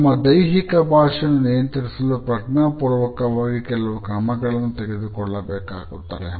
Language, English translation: Kannada, In order to control our body language, there are certain steps which we should consciously take